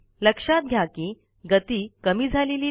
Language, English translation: Marathi, Notice that the speed does not decrease